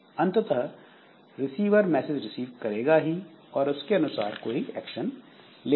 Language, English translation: Hindi, So, eventually the receiver will receive it and do the corresponding operation